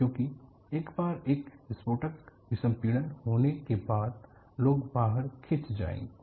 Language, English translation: Hindi, Because once there is an explosive decompression, people will be sucked out